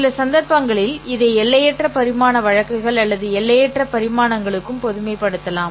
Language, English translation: Tamil, Now, is it possible for me to generalize this to an infinite dimensional case